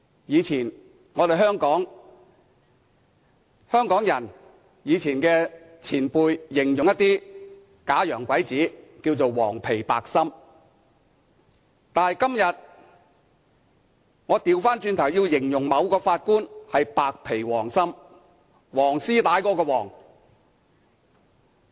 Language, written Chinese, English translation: Cantonese, 以前，香港老一輩人形容一些假洋鬼子為"黃皮白心"，但今天我反過來要形容某位法官是"白皮黃心"，黃絲帶的"黃"。, People of the older generations in Hong Kong used to describe the fake expatriates as people with yellow skin but a white heart . But today I will describe a certain Judge as having white skin but a yellow heart the yellow of a yellow ribbon